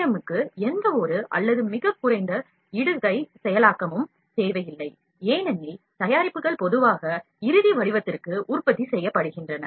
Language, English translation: Tamil, In general, FDM requires no or very little post processing, because the product products are generally produced to the final shape